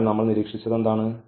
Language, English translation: Malayalam, So, what we have observed